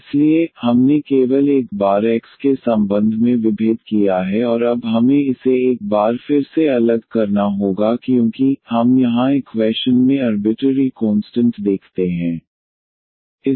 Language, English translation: Hindi, So, we have differentiated with respect to x only once and now we have to differentiate this once again because, we do see here to arbitrary constants in the equation